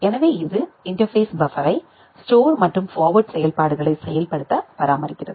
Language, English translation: Tamil, So it maintains also maintains the interface buffer to implement the store and forward functionality